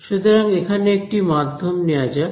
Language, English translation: Bengali, So, let us take a medium over here